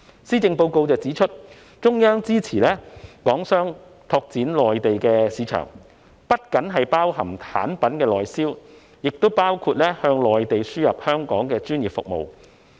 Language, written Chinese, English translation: Cantonese, 施政報告指出，中央支持港商拓展內地市場，這不僅是指產品的內銷，亦包括向內地輸出香港的專業服務。, The Policy Address has stated that the Central Government supports Hong Kong enterprises to tap into the Mainland market . This refers to not only the sale of goods to the Mainland domestic market but also exporting Hong Kongs professional services to the Mainland